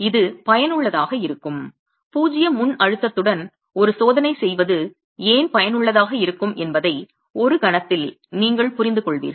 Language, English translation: Tamil, It's useful in a moment you will understand why it is useful to do a test with zero pre compression, right